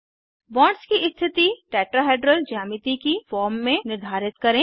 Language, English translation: Hindi, Orient the bonds to form a Tetrahedral geometry